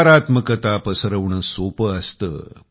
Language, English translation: Marathi, Spreading negativity is fairly easy